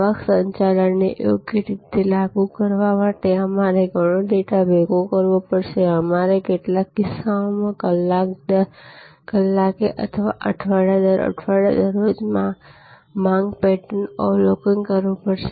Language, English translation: Gujarati, We have to gather lot of data to apply revenue management correctly; we have to observe the demand pattern day by day in some cases, hour by hour or week by week